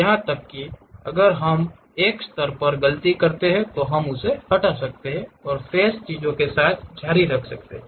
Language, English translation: Hindi, Even if we are making a mistake at one level we can delete that, and continue with the remaining things